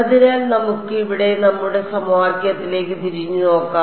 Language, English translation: Malayalam, So, let us look back at our equation over here